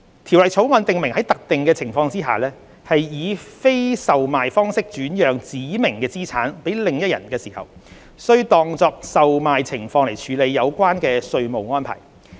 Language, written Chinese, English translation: Cantonese, 《條例草案》訂明在特定情況下，非以售賣方式轉讓指明資產予另一人時，須當作售賣情況來處理有關稅務安排。, The Bill stipulates that under certain circumstances the tax treatment for the transfer of specified assets to another person without sale should be deemed as the tax treatment for the sale of such assets